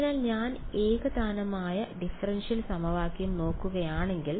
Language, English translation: Malayalam, So, if I look at the homogeneous differential equation ok